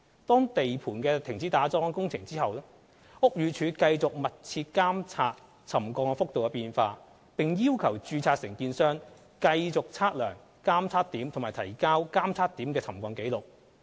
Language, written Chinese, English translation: Cantonese, 當地盤停止打樁工程後，屋宇署繼續密切監察沉降幅度的變化，並要求註冊承建商繼續測量監測點及提交監測點的沉降紀錄。, After the suspension of the piling works at the site concerned BD has continued to closely monitor the changes of the settlement levels and has requested the RC to continue to monitor settlement readings of the monitoring checkpoints and submit settlement records